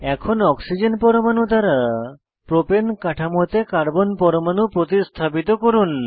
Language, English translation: Bengali, Next lets replace the central Carbon atom in Propane structure with Oxygen atom